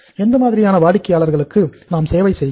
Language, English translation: Tamil, What kind of the customer we are serving